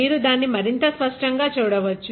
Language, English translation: Telugu, So, you can clearly see it